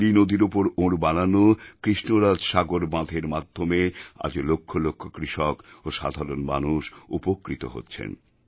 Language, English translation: Bengali, Lakhs of farmers and common people continue to benefit from the Krishna Raj Sagar Dam built by him